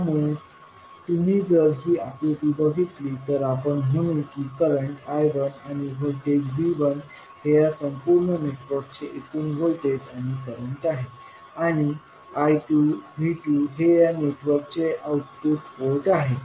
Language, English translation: Marathi, So, if you see in this figure, we say that current I 1 and V 1 is the overall voltage and current of the overall network, and V 2 I 2 is the output port current of the overall network